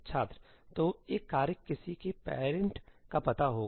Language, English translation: Hindi, So, a task would know somebodyís parent